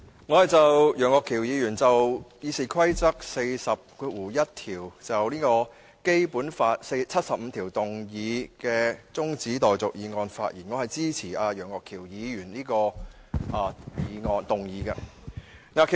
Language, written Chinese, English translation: Cantonese, 我就楊岳橋議員根據《議事規則》第401條，就根據《基本法》第七十五條動議的擬議決議案的辯論提出的中止待續議案發言。, I speak on the adjournment motion proposed by Mr Alvin YEUNG under RoP 401 on the debate on the proposed resolutions under Article 75 of the Basic Law